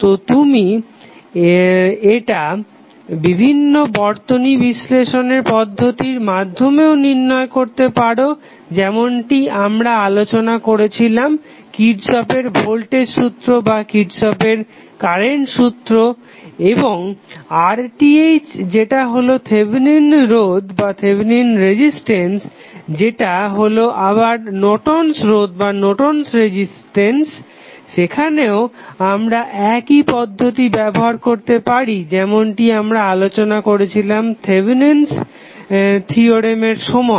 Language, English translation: Bengali, So, this you can calculate with the help of various circuit techniques like we discussed Kirchhoff Voltage Law or Kirchhoff Current Law and the R Th that is Thevenin resistance which is nothing but the Norton's resistance also we can utilize the same technique which we utilize while we were discussing the Thevenm's theorem to find out the value of Norton's resistance